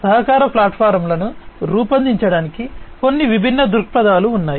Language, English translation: Telugu, So, there are some different perspectives to build collaboration platforms